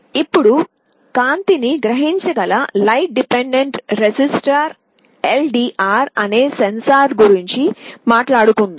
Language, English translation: Telugu, Now, let us talk about a sensor called light dependent resistor that can sense light